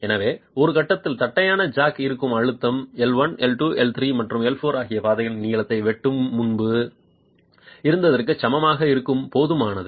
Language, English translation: Tamil, So, at some point the pressure that the flat jack is at is adequate for the gauge length L1, L2, L3 and L4 to be equal to what it was before the cutter